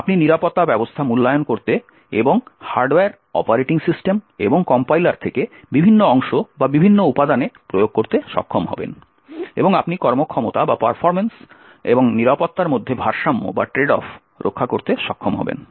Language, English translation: Bengali, You would be able to evaluate security measures and apply them to various parts or various components from the hardware, operating system and the compiler and also you would be able to trade off between the performance and security